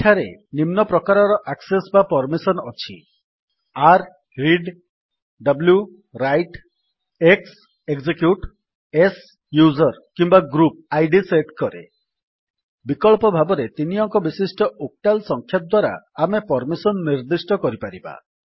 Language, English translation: Odia, There are following types of access or permissions: r: Read w: Write x: Execute s: Set user ID Alternatively, we may specify permissions by a three digit octal number